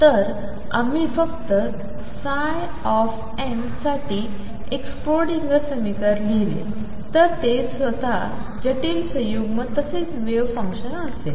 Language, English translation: Marathi, So, we have just written a Schrodinger equation for psi m for it is complex conjugate as well as the wave function itself